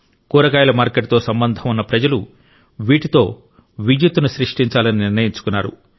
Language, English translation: Telugu, People associated with the vegetable market decided that they will generate electricity from this